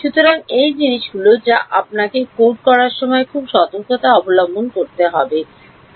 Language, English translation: Bengali, So, these are the things which you have to be very careful about when you code